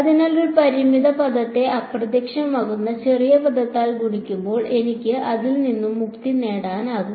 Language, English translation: Malayalam, So, when a finite term is multiplied by a vanishingly small term, I can get rid off it right